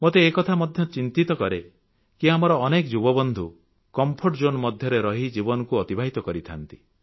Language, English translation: Odia, I am sometimes worried that much of our younger generation prefer leading life in their comfort zones